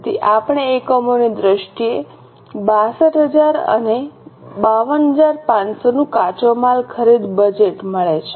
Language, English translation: Gujarati, So, we get raw material purchase budget of 62,000 and 52,500 in terms of units